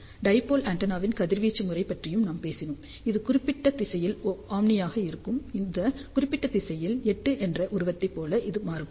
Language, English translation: Tamil, And we had also talked about the radiation pattern of the dipole antenna; it is omni in this particular direction; and it is varying like a figure of 8 in this particular direction